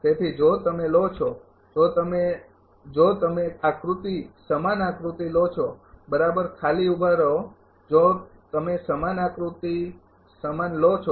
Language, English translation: Gujarati, So, if you take if you if you take the diagram same diagram right just hold down if you take the same diagram same diagram